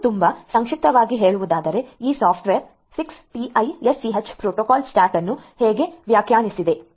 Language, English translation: Kannada, This is at very nutshell this is how this software defined 6TiSCH protocol stack looks like